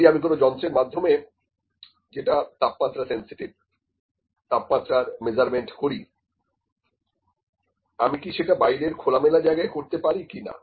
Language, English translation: Bengali, If I have to do some measurements using an instrument which is temperature sensitive can I do it in the open environment or not